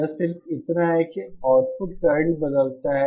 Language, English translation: Hindi, It is just that the output current changes